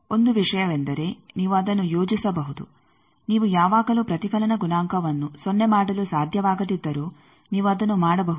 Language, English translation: Kannada, Now, 1 thing is you can plot that, suppose always the reflection coefficient even if you cannot make 0 you can make that